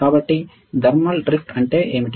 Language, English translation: Telugu, So, what exactly is a thermal drift